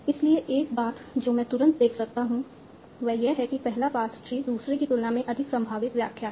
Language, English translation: Hindi, So, one thing I can immediately see is that the first one pass is a more likely interpretation than the second one